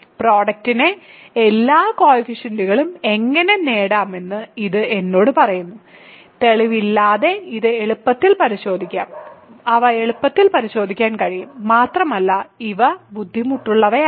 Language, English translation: Malayalam, So, this tells me how to get all the coefficients of the product, and again I will simply assert these without proof which can be checked easily and these are not difficult and they are not very illuminating to check